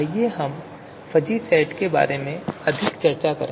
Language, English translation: Hindi, So how do we design a fuzzy set